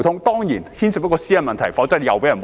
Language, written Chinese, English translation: Cantonese, 當然，這方面牽涉私隱問題，動輒又會遭人抹黑。, Certainly there are privacy issues involved providing an easy excuse for mud - slinging